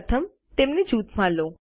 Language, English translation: Gujarati, First lets group them